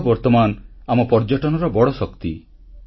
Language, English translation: Odia, This is the power of our tourism